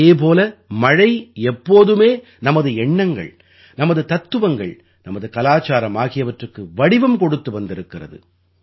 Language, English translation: Tamil, At the same time, rains and the monsoon have always shaped our thoughts, our philosophy and our civilization